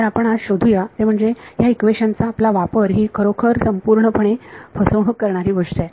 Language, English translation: Marathi, So, what we will find out today is that our use of this equation is actually been very very fraud throughout